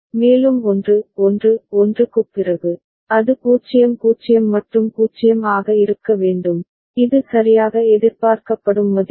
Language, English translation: Tamil, And after 1 1 1, there is a it should be 0 0 and 0, this is the value that is expected all right